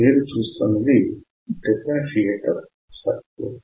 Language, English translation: Telugu, So, you can see the differentiator circuit